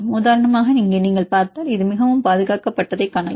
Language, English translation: Tamil, For example, here if you see this one you can see this highly conserved